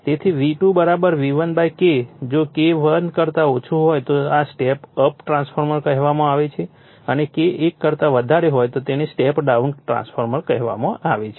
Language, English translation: Gujarati, Therefore, V2 = V1 / K, if K less than 1 then this call step up transformer and if K your greater than one it is called step down transformer